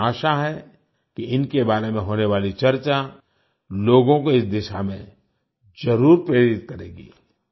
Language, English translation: Hindi, I hope that the discussion about them will definitely inspire people in this direction